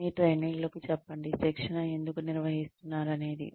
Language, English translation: Telugu, Tell your trainees, why the training is being conducted